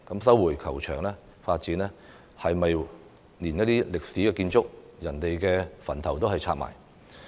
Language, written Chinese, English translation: Cantonese, 收回球場發展是否想連歷史建築、先人的墳墓也拆卸？, Does resumption of the golf course mean destruction of historic buildings and ancestral graves?